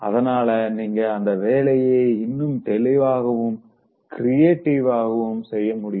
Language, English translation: Tamil, And then, you will be able to do it much better and more creatively